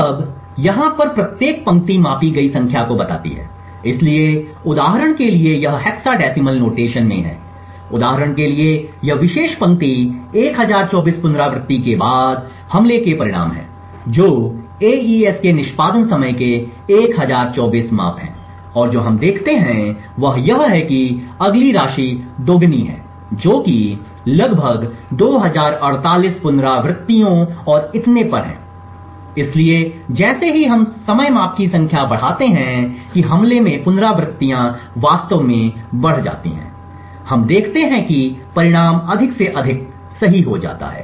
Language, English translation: Hindi, Now each row over here tells the number of measurements that have taken place, so for example this is in hexadecimal notation, so for example this particular row are the results of the attack after 1024 iteration that is 1024 measurements of the execution time of the AES and what we see is that the next one is double that amount which is around 2048 iterations and so on, so as we increase the number of timing measurements that is the iterations in the attack actually increase, we see that the result become more and more accurate